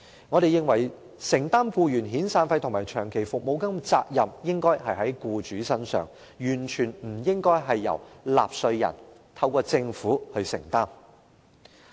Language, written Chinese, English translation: Cantonese, 我們認為，承擔僱員遣散費和長期服務金的責任應該在僱主身上，完全不應由納稅人透過政府承擔。, In our opinion the burden of making severance payments and long service payments to employees should be borne by employers . It is totally inappropriate to be borne by taxpayers through the Government